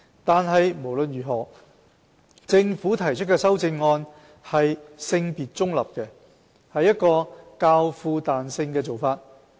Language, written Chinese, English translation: Cantonese, 但無論如何，政府提出的修正案是性別中立的，是一個較富彈性的做法。, In any case the amendments proposed by the Government are gender - neutral and more flexible